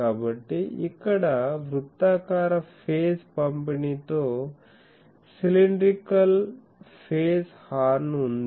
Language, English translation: Telugu, So, here is a cylindrical phase horn with a circular phase distribution